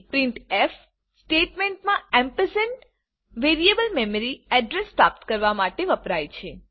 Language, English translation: Gujarati, In the printf statement ampersand is used for retrieving memory address of the variable